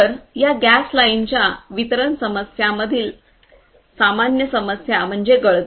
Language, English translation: Marathi, So, one of the common problems with these gas lines the distribution lines is leakage